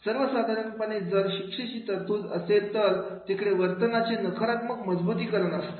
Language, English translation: Marathi, So, if the punishment is there, then there will be the negative reinforcement behavior